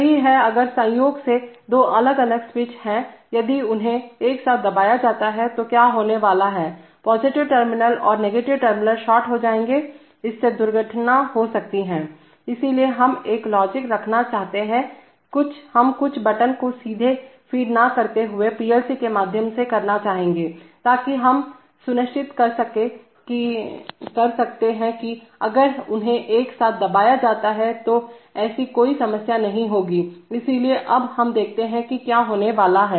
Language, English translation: Hindi, That is, if by chance there are two different switches if they are pressed together then what is going to happen is that the positive terminal and the negative terminal will get shorted, this may cause an accident, so we want to have a logic, we do not feed the push buttons directly rather than we take it through a PLC, so that we ensure that even if they are pressed together no such problem will occur, so now we see what is going to happen